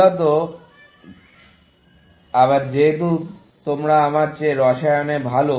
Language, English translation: Bengali, Essentially, again since, you are better at chemistry than I am